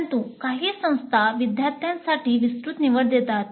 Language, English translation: Marathi, But some institutes do offer a wide choice for the students